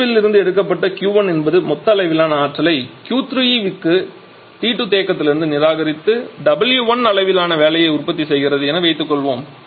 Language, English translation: Tamil, Let us say Q 1 is the total amount of energy being extracted from this out of that Q 2 is going to the first one which is rejecting Q 3 to this T 2 reserver and producing W 1 amount of work